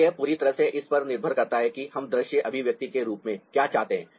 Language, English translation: Hindi, so it totally depends on what we want as visual ah expression